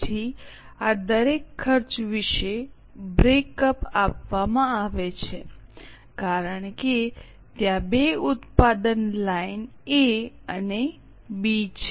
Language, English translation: Gujarati, Then a breakup is given about each of this cost because there are two product lines A and B